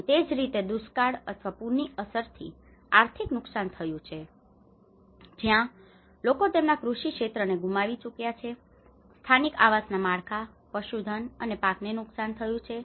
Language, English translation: Gujarati, And similarly an economic loss especially with drought or the flood impacts where people have lost their agricultural fields, damage to local housing infrastructure, livestock and crops